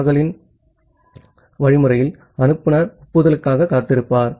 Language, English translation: Tamil, That the in the Nagle’s algorithm the sender is waiting for the acknowledgement